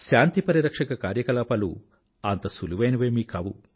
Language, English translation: Telugu, Peacekeeping operation is not an easy task